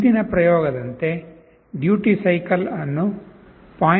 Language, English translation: Kannada, As in the previous experiment, the duty cycle is set to 0